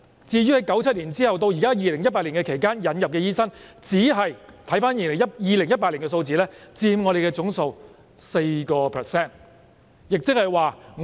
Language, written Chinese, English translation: Cantonese, 至於在1997年至2018年期間引入的醫生，按2018年的數字，其實只是佔總數的 4%。, As for doctors imported from 1997 to 2018 the figure of 2018 showed that actually they accounted for a mere 4 % of the total number of doctors